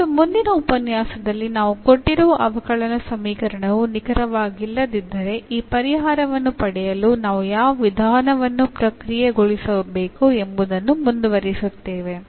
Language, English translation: Kannada, And in the next lecture we will continue if the given differential equation it not exact then what method we should process to get this solution